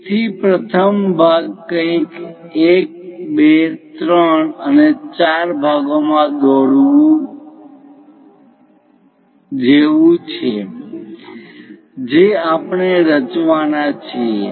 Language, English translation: Gujarati, So, the first part something like to construct 1, 2, 3 and 4 parts we are going to construct